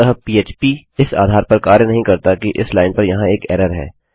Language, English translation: Hindi, So php doesnt work on the basis that theres an error on this line